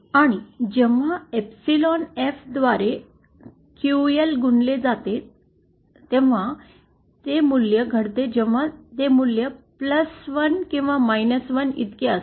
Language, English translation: Marathi, And that value happens when QL multiplied by epsilon F is equal to either +1 or 1